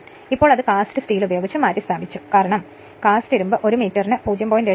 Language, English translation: Malayalam, But now it has been replaced by your cast steel this is because the cast iron is saturated by flux density of about 0